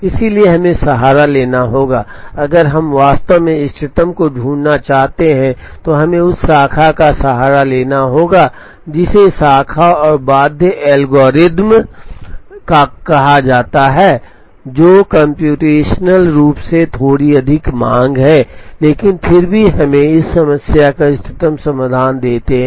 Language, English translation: Hindi, So, we have to resort, if we really want to find the optimum then we have to resort to what are called the Branch and Bound algorithms, which are computationally a little more demanding, but nevertheless give us optimal solution to the problem